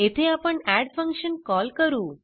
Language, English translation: Marathi, Here we call the add function